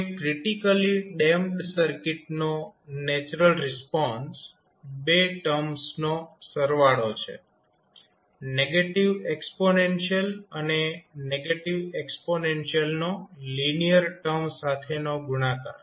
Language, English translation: Gujarati, Now, the natural response of the critically damped circuit is sum of 2 terms the negative exponential and negative exponential multiplied by a linear term